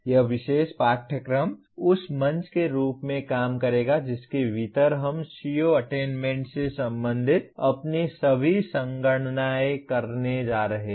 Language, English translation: Hindi, This particular course will serve as the platform within which we are going to do all our computations related to CO attainment